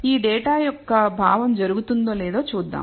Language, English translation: Telugu, Let us go and see whether this makes sense of this data